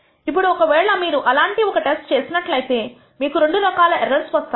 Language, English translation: Telugu, Now, when you do such a test you commit two types of errors